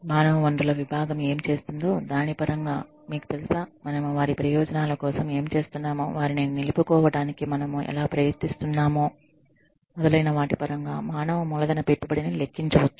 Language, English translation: Telugu, The total human capital investment can be calculated, in terms of, what the human resource department is doing, you know, what we are doing, in terms of their benefits, how we are trying, to retain them, etcetera